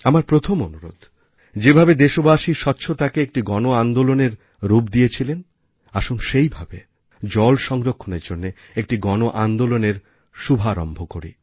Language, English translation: Bengali, My first request is that just like cleanliness drive has been given the shape of a mass movement by the countrymen, let's also start a mass movement for water conservation